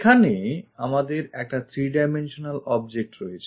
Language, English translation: Bengali, For example, here we have a three dimensional object